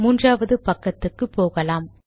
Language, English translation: Tamil, And lets go to the next page